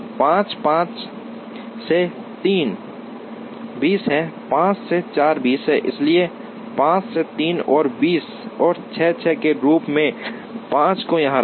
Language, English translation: Hindi, 5, 5 to 3 is 20, 5 to 4 is 20, so let us put 5 here with 5 to 3 as 20 and 6, 6 to 3 is 22, 6 to 4 is 22